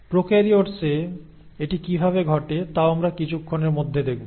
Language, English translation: Bengali, We will also see how it happens in prokaryotes in a bit